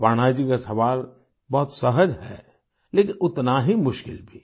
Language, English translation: Hindi, " Aparna ji's question seems simple but is equally difficult